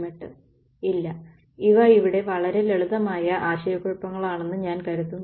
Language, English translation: Malayalam, No, I think these are very simple sort of confusion over here